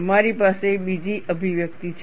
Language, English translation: Gujarati, You have another expression